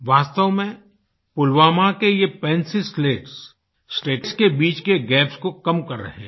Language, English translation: Hindi, In fact, these Pencil Slats of Pulwama are reducing the gaps between states